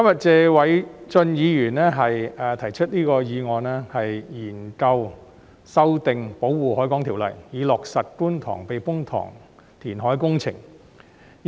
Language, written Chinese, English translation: Cantonese, 謝偉俊議員今天提出"研究修訂《保護海港條例》及落實觀塘避風塘填海工程"的議案。, Mr Paul TSE has proposed the motion on Examining the amendment of the Protection of the Harbour Ordinance and implementing the Kwun Tong Typhoon Shelter reclamation works